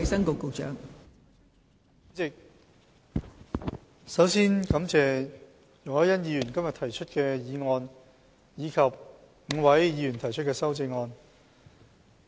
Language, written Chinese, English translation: Cantonese, 代理主席，我首先感謝容海恩議員今天提出這項議案及5位議員提出修正案。, Deputy President first of all I would like to thank Ms YUNG Hoi - yan and the five Members for proposing this motion and the amendments respectively today